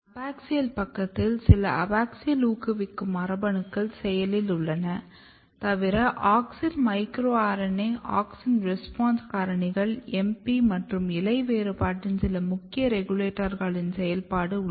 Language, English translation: Tamil, On the abaxial side you can have some of the abaxial promoting genes, which are getting active; apart from that you have the activity of auxin, micro RNA, AUXIN RESPONSE FACTORS, MP and some of the other key regulators of leaf differentiation